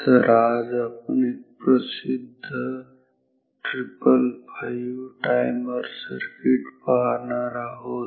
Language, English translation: Marathi, So, today now we shall take up a popular circuit called 555 timer